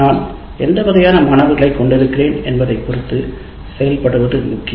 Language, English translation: Tamil, Then I need to have a feel for what kind of students do I have